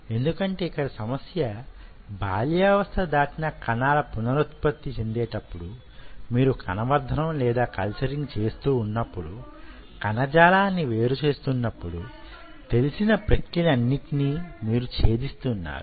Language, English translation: Telugu, and because the problem is that adult cells, when they are regenerating, when you are culturing what, isolating the tissue, you are pretty much breaking all the processes